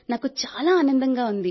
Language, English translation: Telugu, I felt very nice